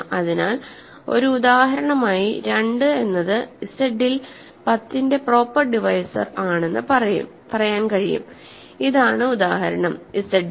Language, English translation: Malayalam, So, as an example, we can say 2 is a proper divisor of 10 right in Z of course, this is the example is in Z